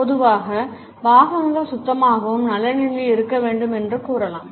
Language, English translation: Tamil, In general it can be said that accessories need to be clean and in good shape